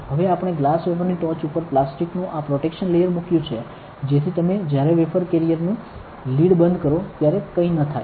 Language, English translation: Gujarati, Now, I we have put this protection layer of plastic on top of the glass wafer, so that when you close the lid of the wafer carrier nothing happens